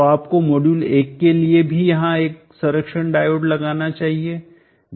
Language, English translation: Hindi, So you should also put a protection diode across here for the module 1, 2